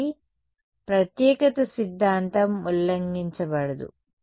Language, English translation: Telugu, So, uniqueness theorem does not get violated